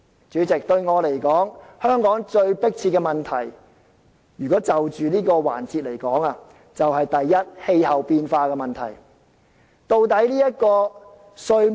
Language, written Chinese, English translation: Cantonese, 主席，對我而言，香港最迫切的問題，如果就着這個環節來說，第一，就是氣候變化問題。, President with regard to the present session the most pressing issues in Hong Kong to me are first climate change